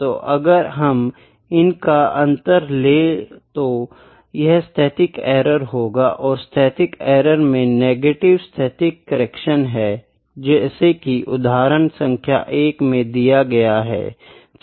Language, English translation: Hindi, So, we took the difference to find the static error, in the static error the negative of the static error is f static correction, this was example 1